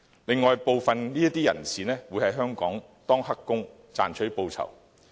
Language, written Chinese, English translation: Cantonese, 此外，部分人士會在香港當"黑工"賺取報酬。, Moreover some of them will work illegally in Hong Kong to earn money